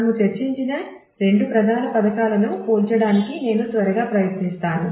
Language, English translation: Telugu, I would quickly try to compare the two major schemes that we have discussed